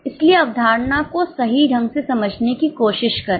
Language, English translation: Hindi, Fine so try to understand the concept correctly